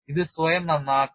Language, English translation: Malayalam, It has to repair by itself